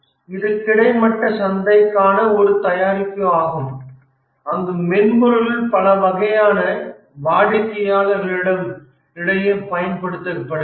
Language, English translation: Tamil, One is a horizontal market, this is a product for horizontal market where the software is used across many types of customers